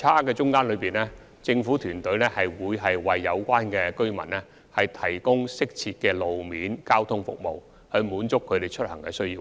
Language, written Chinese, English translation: Cantonese, 在這段差距期間，政府團隊會為有關的居民提供適切的路面交通服務，以滿足他們的出行需要。, During this time gap the government team will provide appropriate road - based transport services to satisfy the needs of the commuters concerned